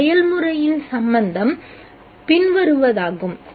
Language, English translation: Tamil, The relevance of this process is the following